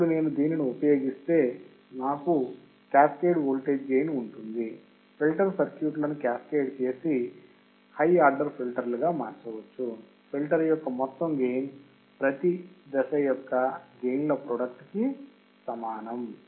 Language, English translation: Telugu, Now, if I use this is an example, I have a cascaded voltage gain, when cascading to a filter circuits to form high order filters, the overall gain of the filter is equal to product of each stage